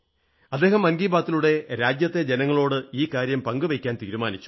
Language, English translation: Malayalam, Today, through the Man Ki Baat program, I would like to appreciate and thank my countrymen